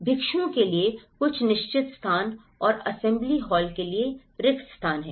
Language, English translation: Hindi, There is certain spaces for monks and the spaces for assembly halls